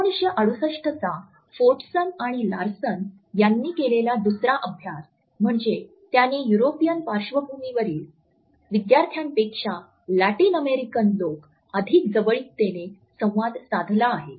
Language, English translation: Marathi, Another study which he has quoted is the 1968 study by Fortson and Larson in which it was found that the Latin Americans tend to interact more closely than students from European background